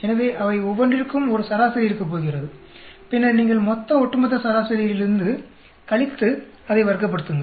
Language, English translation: Tamil, So for each one of them, there is going to be an average, and then, you subtract from the total overall average, square it up